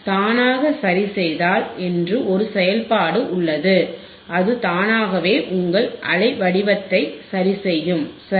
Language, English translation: Tamil, See there is a function called auto adjust and it will automatically adjust your waveform right